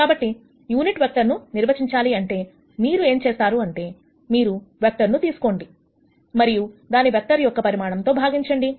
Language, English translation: Telugu, So, to de ne a unit vector what you do is, you take the vector and divide it by the magnitude of the vector